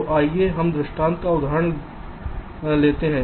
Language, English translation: Hindi, so lets take an example illustration